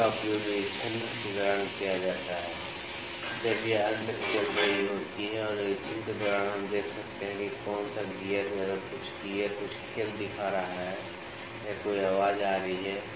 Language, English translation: Hindi, It is used while inspection, when the machines are running and during inspection we can see that which gear if some of the gears is showing some play or some voice is coming